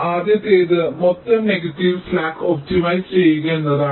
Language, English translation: Malayalam, first one is to optimize the total negative slack